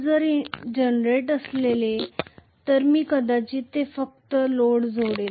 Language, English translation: Marathi, If it is a generator I will only connect probably a load here